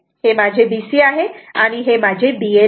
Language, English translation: Marathi, So, this is my B C and this is my B L right